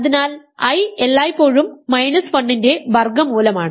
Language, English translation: Malayalam, So, i as always is a square root of minus 1 so, imaginary number